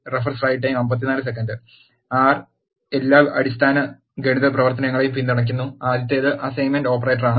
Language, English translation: Malayalam, R supports all the basic arithmetic operation, the first one is assignment operator